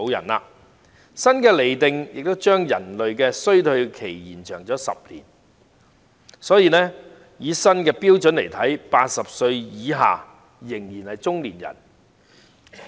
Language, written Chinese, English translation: Cantonese, 此外，新的釐定亦將人類的衰退期延長10年，所以按照新的標準 ，80 歲以下仍然是中年人。, Furthermore the new classification also extends the degeneration of human by 10 years such that persons under 80 years old are still regarded as middle - aged according to the new standard criterion